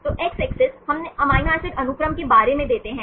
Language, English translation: Hindi, So, X axis, we give about the amino acid sequence